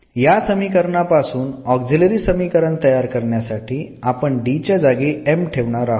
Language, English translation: Marathi, So, the auxiliary equation corresponding to this will be just we can replace this D by m